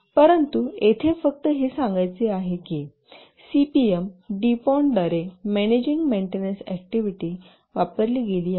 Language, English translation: Marathi, But just want to mention here that the CPM was used by DuPont for managing maintenance activities